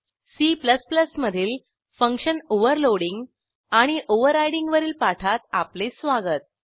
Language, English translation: Marathi, Welcome to the spoken tutorial on function Overloading and Overriding in C++